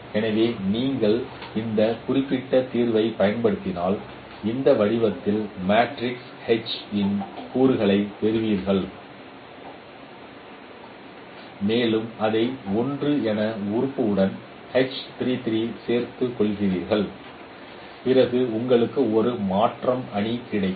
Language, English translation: Tamil, So, if you use this particular solutions, you will get the elements of matrix H in this form and append it with the element H3 3 as 1 then you will get a transformation matrix